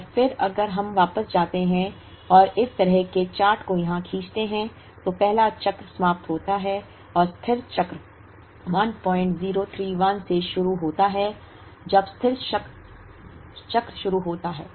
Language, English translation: Hindi, And then if we go back and draw this kind of a chart here, the first cycle ends and the steady cycle begins at 1